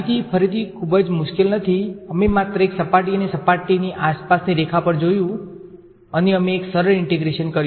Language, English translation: Gujarati, The proof is again not very difficult we just looked at a surface and the line that is around the surface and we did a simple integration right